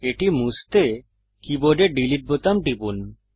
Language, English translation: Bengali, To delete it, press the delete button on the keyboard